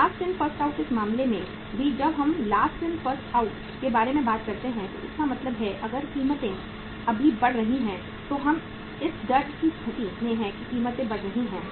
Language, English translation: Hindi, Last In First Out, in this case also when we talk about Last In First Out, so it means the if the prices are rising now currently we are in the state of fear that the prices are rising in the market